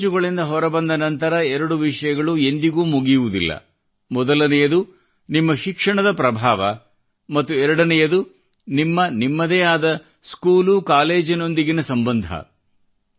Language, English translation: Kannada, After leaving school or college, two things never end one, the influence of your education, and second, your bonding with your school or college